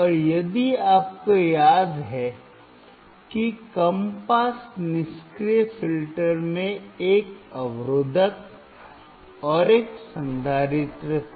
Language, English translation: Hindi, And if you remember the low pass passive filter had a resistor, and a capacitor